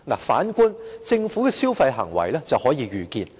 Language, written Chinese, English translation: Cantonese, 反觀政府的消費行為卻是可預見的。, On the contrary the consumption of the Government can generate a foreseeable outcome